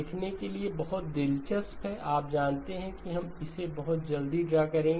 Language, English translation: Hindi, Very interesting to see, you know, and we will just draw it very quickly